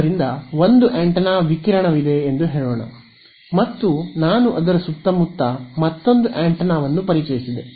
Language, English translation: Kannada, So let us say there is one antenna radiating and I have introduced one more antenna in its vicinity ok